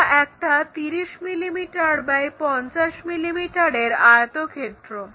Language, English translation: Bengali, It is a 30 mm by 50 mm rectangle